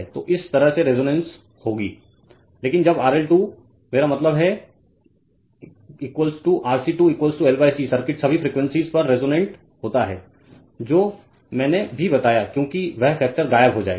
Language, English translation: Hindi, So, this way resonant will happen right, but when RL squareI mean is equal to RC square is equal to L by C the circuit is resonant at all frequencies right that also I told you because that factor tau will vanish right